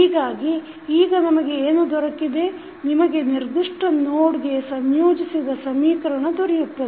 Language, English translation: Kannada, So, what you have got now, you have got the equation connected to this particular node